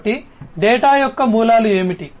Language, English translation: Telugu, So, what are the sources of data